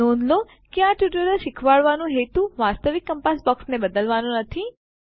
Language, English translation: Gujarati, Please note that the intention to teach this tutorial is not to replace the actual compass box